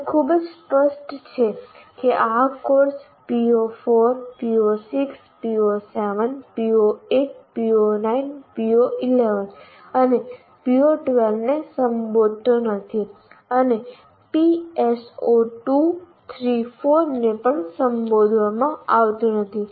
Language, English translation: Gujarati, And it is very clear this particular course is not addressing PO4, PO6, PO 7, PO 8, PO 9 and PO11 and PO 12 as well, and PS4 3 4 are also not addressed